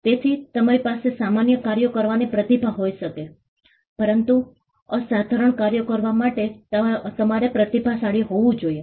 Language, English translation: Gujarati, So, you could have talent to do ordinary tasks, but to do the extraordinary you had to be a genius